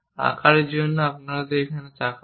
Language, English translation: Bengali, For size let us look at it